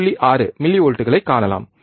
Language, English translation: Tamil, 6 millivolts, right